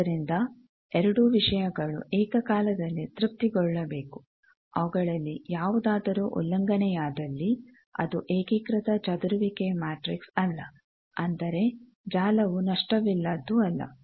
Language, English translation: Kannada, So, both the things should be simultaneously satisfied, if any of them is violated it is not unitary scattering matrix that means, the network is not lossless